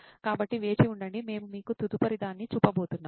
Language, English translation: Telugu, so stay tuned, we are going to show you the next one